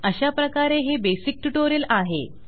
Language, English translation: Marathi, Ok so thats the basic tutorial